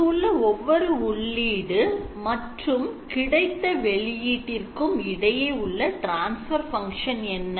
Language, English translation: Tamil, What is the transfer function from each of these input points to the output